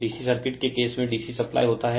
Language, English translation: Hindi, In the case of D C circuit, because in D C supply